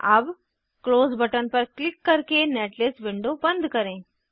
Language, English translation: Hindi, Now close netlist window by clicking on Close button